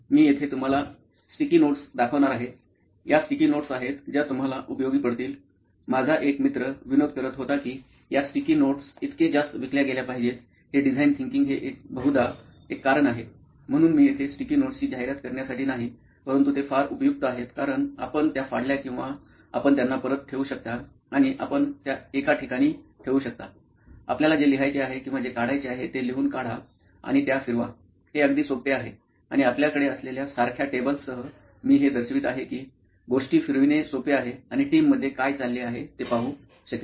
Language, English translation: Marathi, Now we use sticky notes as I am going to show you here, these are sticky notes that are very useful you will find; one of my friends was joking that Design Thinking is probably the single most reason why these sticky notes sell so much, so I am not here to advertise for sticky notes but they are pretty useful because you tear them off and you can put them back in and you can place them in one place, write whatever you have to write or do even draw stuff and move it around; it is very easy and with a table like what we have I am going to show you it is easy to move things around and the team can participate they can look at what is going on